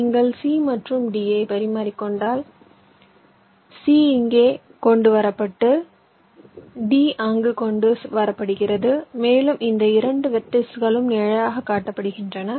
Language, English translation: Tamil, if you exchange c and d, c is brought here and d is brought there, and this two vertices are shown, shaded